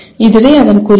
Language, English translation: Tamil, That is the goal of this